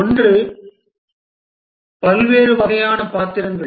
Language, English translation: Tamil, One are the various types of roles